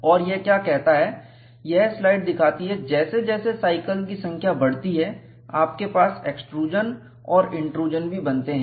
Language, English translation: Hindi, And what this say is, this slide shows is, as the number of cycles increases, you will have extrusion and intrusion form, that is what it says